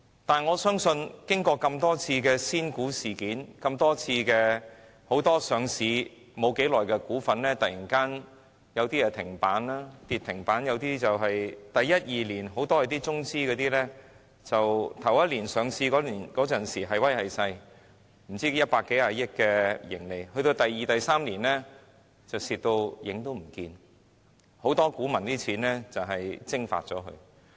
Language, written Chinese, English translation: Cantonese, 但是，我相信，在經過多次仙股事件，以及很多上市不久的股份突然跌至停板，一些中資公司在首年上市時"係威係勢"，甚至有百多億元的盈利，但到了第二年或第三年便虧損嚴重後，不少股民的金錢都被蒸發了。, I believe we must note that the money of many investors has simply evaporated following various penny stock incidents the sudden plunge of many newly listed stocks to the limit - down level and the huge losses in the second or third year reported by some Chinese companies that made a big entrance or even recorded a profit of over 10 billion in the first year of listing